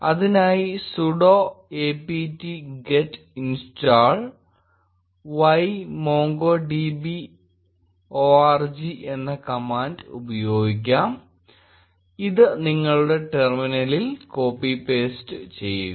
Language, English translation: Malayalam, To do that use the command sudo apt get install y MongoDB org and copy paste it in your terminal